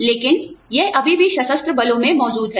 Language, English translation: Hindi, But, it still exists in the armed forces